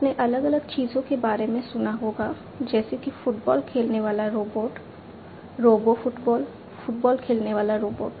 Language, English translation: Hindi, You must have heard about different things like a robot playing soccer, robo soccer, robot playing soccer